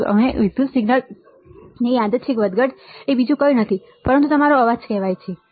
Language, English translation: Gujarati, And this random fluctuation of the electrical signal is nothing but your called noise all right